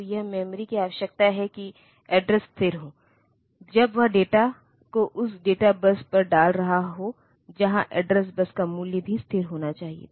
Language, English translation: Hindi, So, this you have the memory needs that the address be stable, when it is putting the data on to the data where the address bus value should also be stable